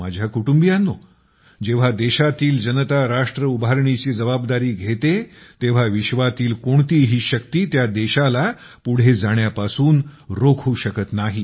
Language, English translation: Marathi, My family members, when the people at large take charge of nation building, no power in the world can stop that country from moving forward